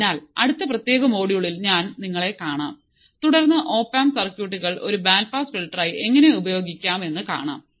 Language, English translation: Malayalam, So, I will catch you in the next class in the next particular module and then we will see how the op amp circuits can be used as a band pass filter till then take care, bye